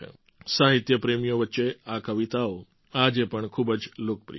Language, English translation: Gujarati, These poems are still very popular among literature lovers